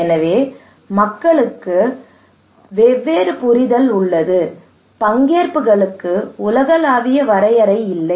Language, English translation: Tamil, So, therefore, people have different understanding; there is no universal definition of participations